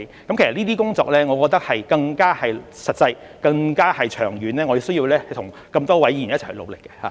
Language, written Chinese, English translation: Cantonese, 我認為這些工作更實際、更長遠，我們需要與眾多議員一起努力。, I think these tasks are more practical and of a longer term and we need to work together with many Members